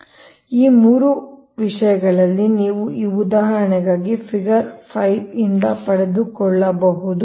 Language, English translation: Kannada, so these three things you have to obtain now figure five for this example, right